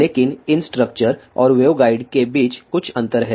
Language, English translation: Hindi, So, these are the differences between transmission lines and waveguides